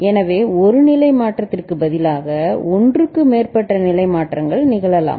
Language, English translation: Tamil, So, instead of one state change we can have more than one state change taking place